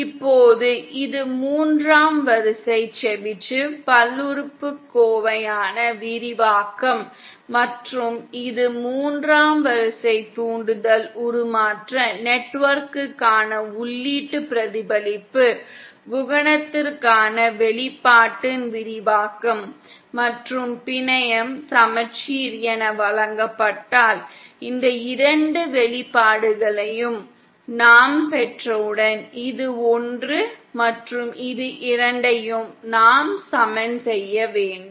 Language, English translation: Tamil, Now this is the expansion for the third order Chebyshev polynomial and this is the expansion for the expression for the input reflection coefficient for a third order impudence transformation network and provided the network is symmetrical, so then once we have derived these two expressions, this one and this one we have to equate the two